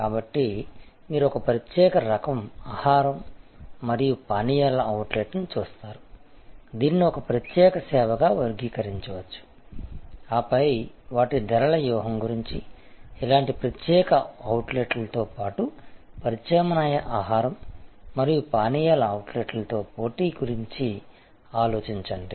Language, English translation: Telugu, So, you look at a particular type of food and beverage outlet, which can be classified as a specialized service and then, think about their pricing strategy in competition with similar specialized outlets as well as in competition with alternative food and beverage outlets